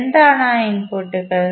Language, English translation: Malayalam, What are those inputs